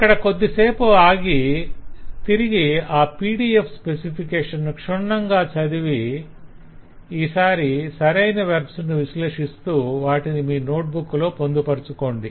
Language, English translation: Telugu, so i would strongly suggest that you pause at this point and go back to the pdf specification and go through it very carefully this time analyzing the verbs and connecting them in your notebook